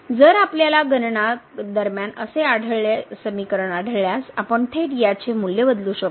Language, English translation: Marathi, So, if we find such expressions during the calculations we can directly substitute these values